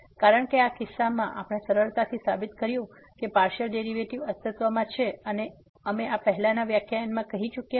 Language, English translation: Gujarati, Because in this case we can easily a prove that the partial derivatives exist and we have already done this in previous lectures